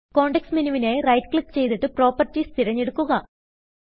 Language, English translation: Malayalam, Now, right click for the context menu and select Properties